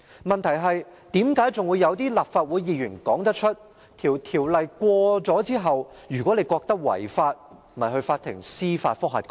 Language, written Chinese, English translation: Cantonese, 問題是，竟然有些立法會議員說："《條例草案》獲通過後，如果你認為它違法，便向法庭提出司法覆核吧！, The thing is some Members of this Council actually said After the passage of the Bill if you think that it is unlawful just apply to the court for a judicial review!